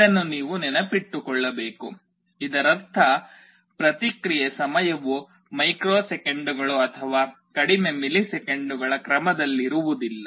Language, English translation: Kannada, This you should remember; that means, the response time is not of the order of microseconds or very lower milliseconds